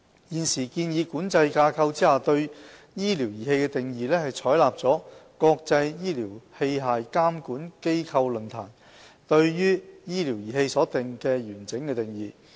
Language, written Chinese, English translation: Cantonese, 現時建議規管架構下對"醫療儀器"的定義，是採納國際醫療器械監管機構論壇對醫療儀器所訂的完整定義。, The definition of medical devices made under the current proposed regulatory framework adopts the comprehensive definition of medical device formulated by the International Medical Device Regulators Forum IMDRF